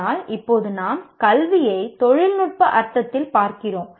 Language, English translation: Tamil, But now you are looking at education in a technical sense